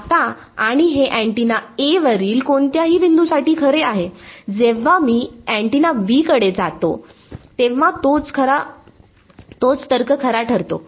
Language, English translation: Marathi, Now, and this is true for any point on the antenna A, when I move to antenna B the same logic holds